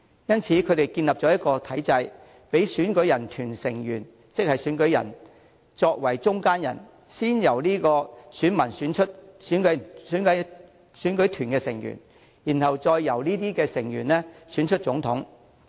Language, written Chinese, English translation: Cantonese, 因此，他們建立了一個體制，讓選舉團成員作為中間人，先由選民選出選舉團成員，然後再由這些成員選出總統。, Therefore they set up a system in which the Electoral College acts as middlemen who are first elected by the people before these electors further elect the President